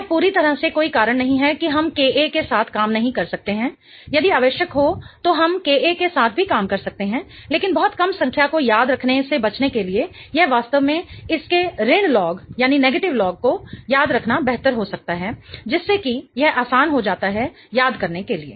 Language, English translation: Hindi, If needed we can also work with K A but in order to avoid remembering a very very small number it might be better to really remember the negative log of it such that it becomes easier to remember